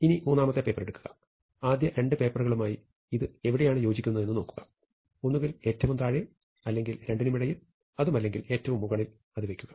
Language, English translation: Malayalam, And now you take the third paper, and now you see where it fits with respect to the first two; either it goes all the way to the bottom or it goes between the two or it goes all the way on top